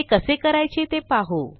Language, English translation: Marathi, Let us see how it it done